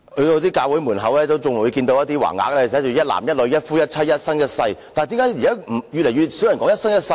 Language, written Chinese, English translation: Cantonese, 在一些教會門前，仍能看見有橫額寫着"一男一女，一夫一妻，一生一世"，但是為甚麼現在越來越少人說"一生一世"？, Banners saying monogamy between one man and one woman for a lifetime can still be seen at the entrances of some churches but why are there less and less people talking about a lifetime nowadays? . It is because of the high divorce rate in Hong Kong